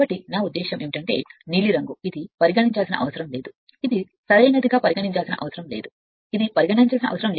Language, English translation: Telugu, So, I mean all this case the blue one right this is you need not consider, this is you need not consider right, this is you need not consider